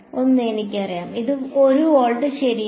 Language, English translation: Malayalam, 1 I know it, it is 1 volt right